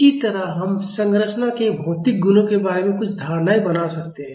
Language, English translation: Hindi, Similarly, we can make some assumptions regarding the material properties of the structure